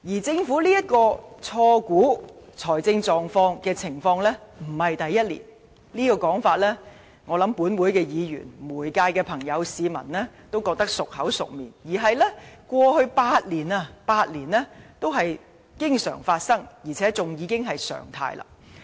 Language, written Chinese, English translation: Cantonese, 政府錯估財政狀況的情況並非第一年，我想立法會議員、媒體和市民也知道；過去8年，這種情況經常發生，而且已成為常態。, I suppose Members the media and the public know that it is not the first year that the Government has wrongly projected our fiscal status; this always happened over the last eight years and has even become normality